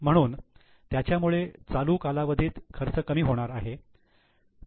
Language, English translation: Marathi, So, it will lead to reduction in the expense in the current period